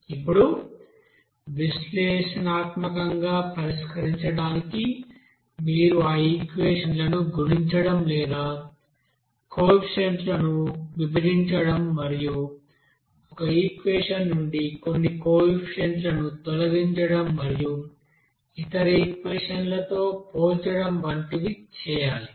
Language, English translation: Telugu, Now to solve that analytically, you know that you have to you know manage those equations, either by multiplying or dividing the coefficients and eliminating some coefficients from one equations and comparing to other equations